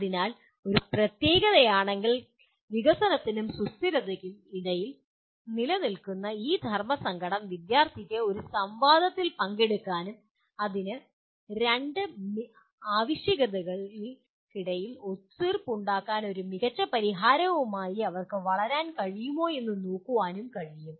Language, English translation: Malayalam, So if a particular, this dilemma that exist between development and sustainability the students can participate in a debate and see whether they can come with a solution that creates the best compromise between the two requirements